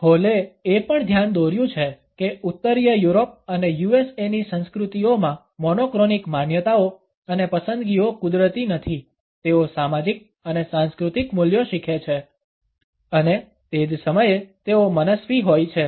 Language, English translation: Gujarati, Hall has also pointed out that the monochronic perceptions and preferences in the cultures of Northern Europe and the USA are not natural they are learnt social and cultural values and at the same time they happen to be arbitrary